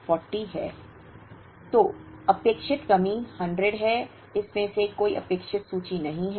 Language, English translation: Hindi, So, expected shortage is 100, there is no expected inventory out of this